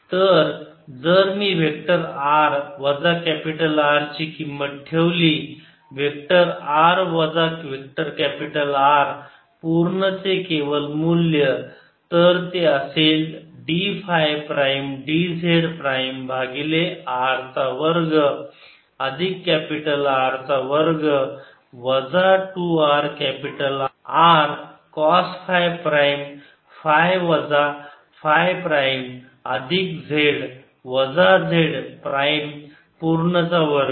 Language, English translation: Marathi, so so if i put the value of vector r minus capital r, mod of vector r minus vector capital r, so that is the d phi prime d z prime over r square plus capital r square minus two r capital r cost phi prime phi minus phi prime plus z minus z prime, whole square